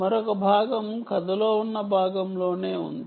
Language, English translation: Telugu, this is one part of the story